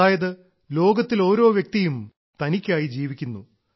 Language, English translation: Malayalam, That is, everyone in this world lives for himself